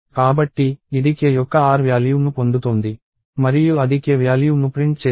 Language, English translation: Telugu, So, it is getting the r value of k and it will print the value of k